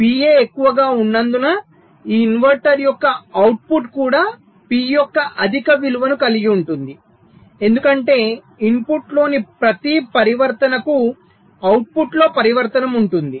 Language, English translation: Telugu, ok, so because p a is higher, the output of this inverter [vocalized noise] will also have a higher value of p, because for every transition in the input there will be a transition in the output, right